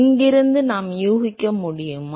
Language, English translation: Tamil, Can we guess from here